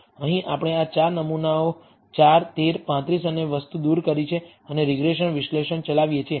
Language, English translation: Gujarati, Here we have removed these 4 samples 4 13 35 and thing and run the regression analysis